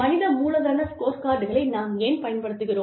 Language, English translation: Tamil, We talk about, human capital scorecards